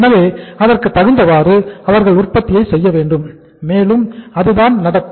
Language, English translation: Tamil, So accordingly they should go for the production and that happens also